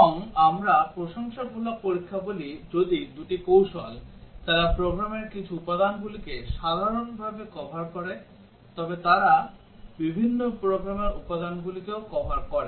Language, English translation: Bengali, And we call complimentary testing, if two strategies, they do cover some program elements in common, but they also cover different program elements